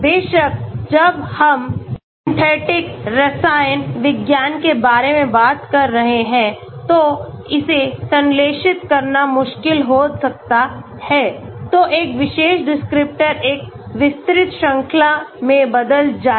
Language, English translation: Hindi, Of course, when we are talking about synthetic chemistry it may be difficult to synthesize so that a particular descriptor changes in over a wide range